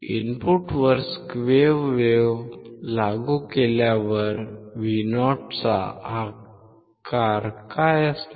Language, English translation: Marathi, What is the shape of Vo on applying square wave at input